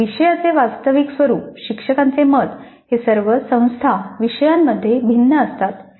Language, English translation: Marathi, The actual nature of the courses, views by teachers, they all vary across the institute courses